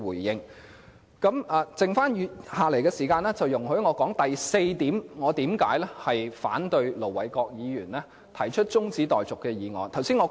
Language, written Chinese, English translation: Cantonese, 餘下的時間，容許我說說我反對盧偉國議員動議中止待續議案的第四項原因。, I would like to use the remaining time to about the fourth reason why I oppose the adjournment motion moved by Ir Dr LO Wai - kwok